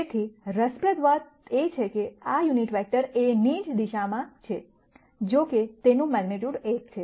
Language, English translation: Gujarati, So, the interesting thing is that, this unit vector is in the same direction as a; however, it has magnitude 1